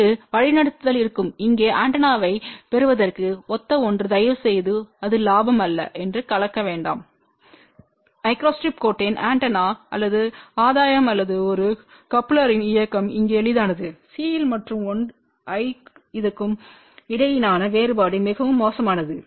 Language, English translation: Tamil, There the directivity will be something similar to gain of the antenna here please do not mix up with that it is not the gain of the antenna or gain of the micro strip line or a coupler here directivity is as simple as the difference between C and I and this is very poor ok